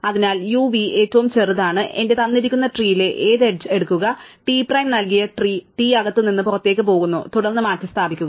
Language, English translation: Malayalam, So, we might be tempted to just say, so uv is the smallest one, pick any edge in my given tree T prime given tree T which goes from inside to outside, then replace